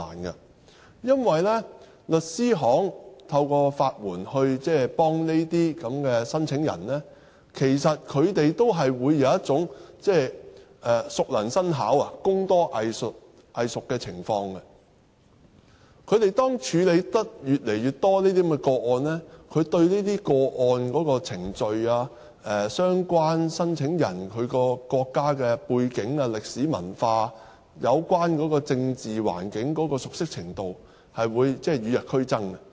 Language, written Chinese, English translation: Cantonese, 原因是，律師行透過法援幫助這些申請人，也會有熟能生巧、工多藝熟的情況。他們處理這些個案越多，對這些個案的程序、相關申請人的國家背景、歷史文化、有關政治環境的熟悉程度將會與日俱增。, As to law firms providing legal aid services to these claimants the more cases they handle they will with each passing day the more they become familiar with the procedures of these cases the background of the countries of these applicants the historical and cultural background as well as the political situations of those countries